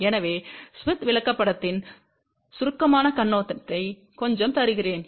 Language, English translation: Tamil, So, let me just give little bit of a more brief overview of smith chart